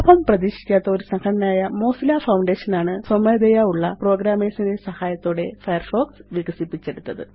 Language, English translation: Malayalam, Firefox has been developed by volunteer programmers at the Mozilla Foundation, a non profit organization